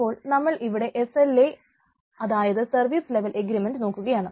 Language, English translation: Malayalam, so, ah, if we look at what is what is sla or service level agreement